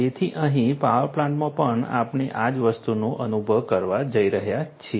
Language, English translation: Gujarati, So, here also in the power plant we are going to experience the same thing